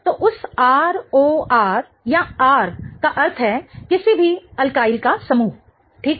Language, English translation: Hindi, So, that R O R or R meaning any alkiel group, right